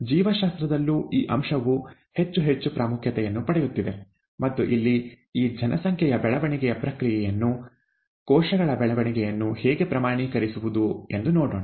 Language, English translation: Kannada, In biology too, this aspect is gaining more and more importance, and here, let us see how to quantify this population growth process, cell growth